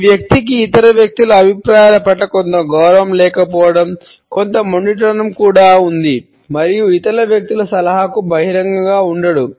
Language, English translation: Telugu, This person has a certain lack of respect for the opinions of other people, also has certain stubbornness and would not be open to the suggestions of other people